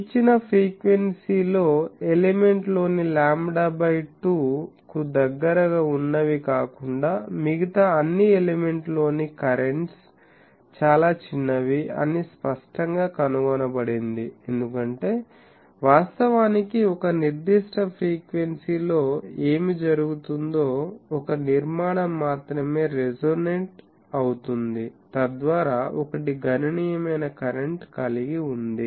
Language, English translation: Telugu, It has also been found that at a given frequency the currents in all elements, except those that are close to lambda by two long are very small that is obvious, because actually what is happening at a particular frequency only one structure is resonating, so that one is having sizable current